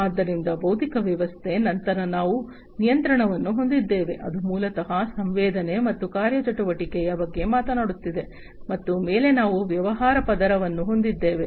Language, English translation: Kannada, So, physical system, then we have the control which is basically talking about sensing and actuation, and on top we have business layer